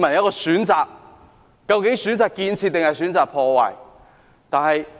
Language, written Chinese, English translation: Cantonese, 究竟大家會選擇建設還是破壞？, Will they choose construction or destruction?